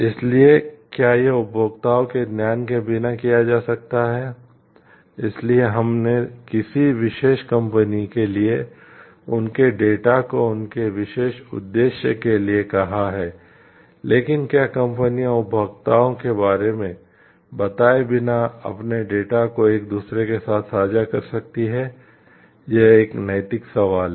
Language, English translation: Hindi, So, whether this can be done without the knowledge of the consumers, so we have said their data to a particular company for their particular purpose, but whether companies can share their data with each other without informing the consumer about it is a ethical question